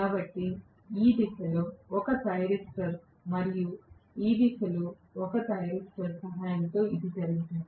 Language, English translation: Telugu, So, this is done with the help of let us say one thyristor in this direction and another thyristor in this direction